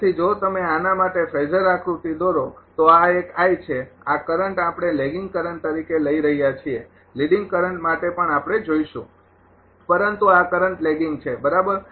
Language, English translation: Gujarati, So, if you if you draw the phasor diagram for this one this is I, this current we are taking as a lagging current for the leading current also we will see, but this is lagging current right